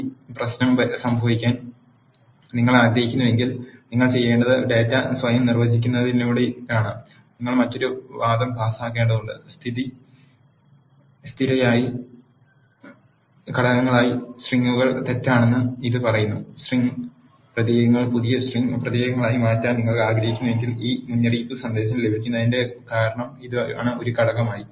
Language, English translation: Malayalam, If you do not want this issue to happen what you have to do is while defining the data from itself you need to pass another argument, which says strings as factors is false by default this argument is true that is the reason why you get this warning message when you want to change the string characters into new string characters as an element